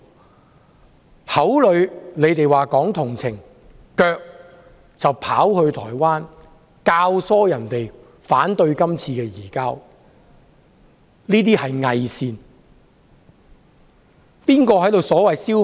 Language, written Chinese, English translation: Cantonese, 他們口裏說同情，腳則跑到台灣，教唆別人反對《逃犯條例》，這是偽善。, While claiming to be sympathetic they had gone to Taiwan and abetted people there in opposing the Fugitive Offenders Ordinance . They are hypocritical